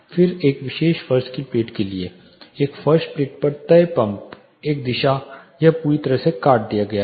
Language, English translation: Hindi, Then for a particular floor plate the pump fixed on a floor plate one direction it is totally cut off